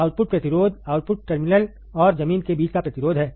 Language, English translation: Hindi, Output resistance, is the resistance between the output terminal and ground